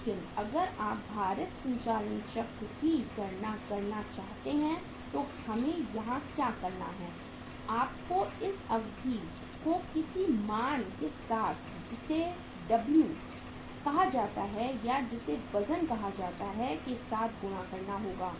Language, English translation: Hindi, But if you want to calculate the weight operating cycle so what we have to do here is you have to multiply this duration with something which is called as W or that is called as weight